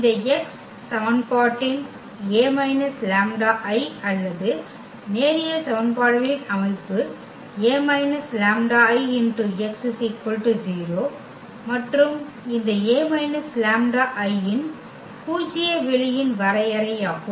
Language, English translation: Tamil, This x of this equation A minus lambda I or rather the system of linear equations A minus lambda x is equal to 0 and this is exactly the definition of the null space of this A minus lambda I